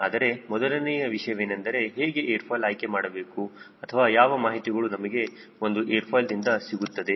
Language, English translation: Kannada, so first topic will be how to select an airfoil or what are the information we will get from a airfoil